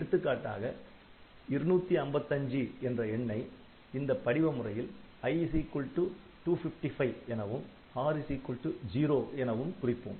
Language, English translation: Tamil, So, this for example, the number 255, so 255 you can represent in this format because I you can take i equal to 255 and r equal to 0 that is fine